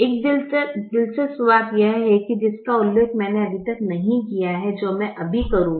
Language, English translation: Hindi, there is also an interesting thing which i have so far not mentioned to you, which i would do right now